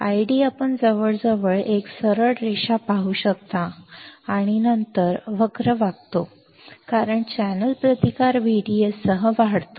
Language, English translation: Marathi, I D you can see almost a straight line and then, the curve bends as the channel resistance increases with V D S